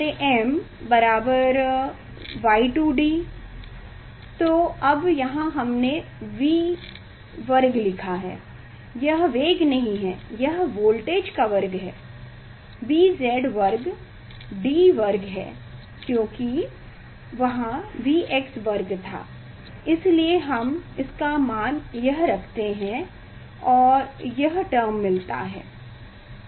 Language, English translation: Hindi, q by m equal to Y 2 D; now here we have written V square, this not velocity it is the voltage square, B z square D square; because V x square was there, so that we replace by this and this term is there